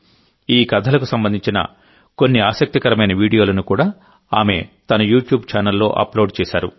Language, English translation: Telugu, She has also uploaded some interesting videos of these stories on her YouTube channel